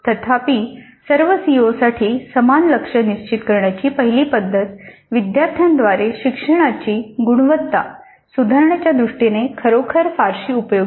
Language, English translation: Marathi, However the first method of setting the same target for the all COs really is not much of much use in terms of improving the quality of learning by the students